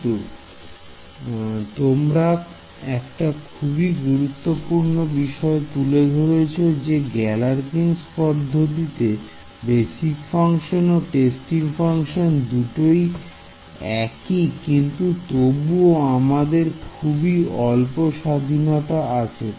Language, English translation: Bengali, So, but you have raised an important point this choice of we said that in Galerkin’s method the shape basis functions and the testing functions are the same, but we still have a little bit of freedom